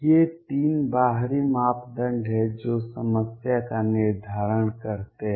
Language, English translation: Hindi, These are the 3 external parameters that determine the problem